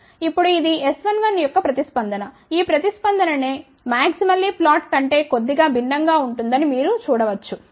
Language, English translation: Telugu, Now, this is the response for S 11 you can see that this response is slightly different than the maximally flat